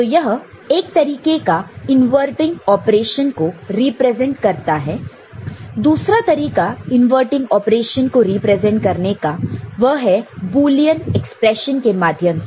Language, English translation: Hindi, So, this is one way of representing inverting operation, the other way of representing inverting operation is through Boolean expression